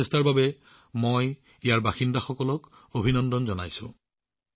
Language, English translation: Assamese, I congratulate the people there for this endeavour